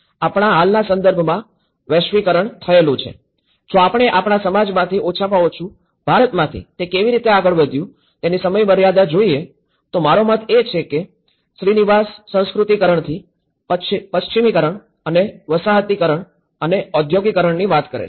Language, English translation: Gujarati, In our present context, the globalised so, if we look at the time frame of how our society have moved at least from India, what I mean Srinivas talks about from the Sanskritization, to the westernization and to the colonization and to the industrialization and to the modernization and now today, we are living in the globalization